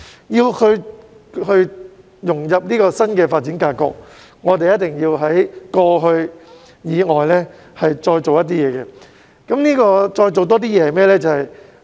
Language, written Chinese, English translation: Cantonese, 要融入新的發展格局，香港一定要在過去所做的事以外，再做一些事情。, To integrate into the new development pattern Hong Kong must do something more than what it did in the past